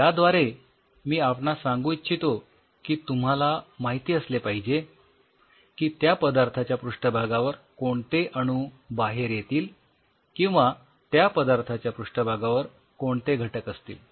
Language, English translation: Marathi, What I meant by that is you have to know that what all atoms are exposed on the surface of that material or what all elements are on the surface of it